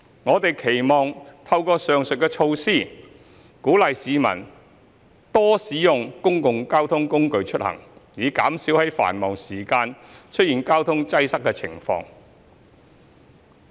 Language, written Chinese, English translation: Cantonese, 我們期望透過上述措施，鼓勵市民多使用公共交通工具出行，以減少在繁忙時間出現交通擠塞的情況。, With the implementation of the above measures we hope to encourage the public to use public transport more often to alleviate traffic congestion during peak hours